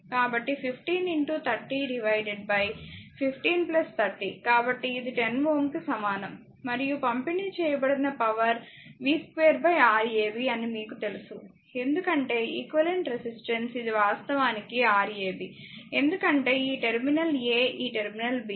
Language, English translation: Telugu, So, 15 into 30 by 15 plus 30; so equivalent to 10 ohm and power delivered is you know v square upon Rab because equivalent this is actually Rab equivalent resistance, because this terminal is a this terminal is b